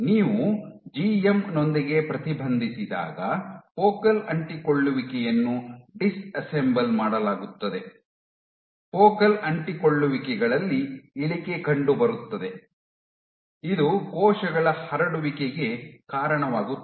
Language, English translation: Kannada, When you inhibit with GM, you add GM your focal adhesions disassembled, your focal adhesions there is a drop in focal adhesions this leads to loss of cells spreading